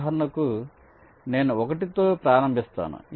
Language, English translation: Telugu, say, for example, i start with one